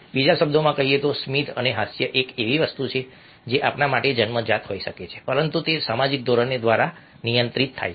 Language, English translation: Gujarati, in other words, smiling and laughter are things which might be inlet to us, but they are regulated by social norms in different societies, different cultures